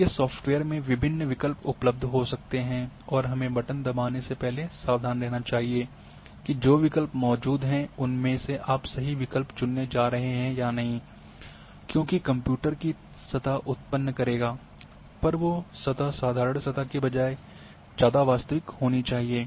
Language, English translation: Hindi, So, in your software various options might be available one has to be very careful before you go and press button, the options which are available are you going are you selecting the right one or not because it ultimately the computer will create a surface, but that surface has to be more realistic near to reality than just simply a surface